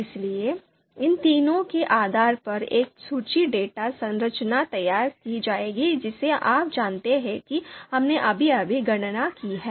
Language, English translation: Hindi, So that we will create a list data structure based on these three you know matrices that we have just now computed